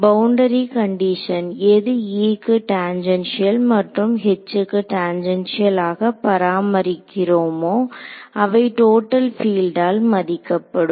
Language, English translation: Tamil, Boundary condition which is tangential E and tangential H are conserve they are obeyed by total field right